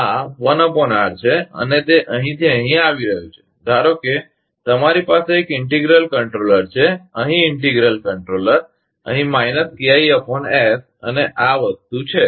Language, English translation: Gujarati, This is one upon R and it is coming from here and suppose, you have a integral controller; here integral controller, here minus KI upon S and this is the thing